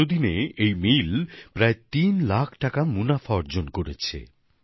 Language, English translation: Bengali, Within this very period, this mill has also earned a profit of about three lakh rupees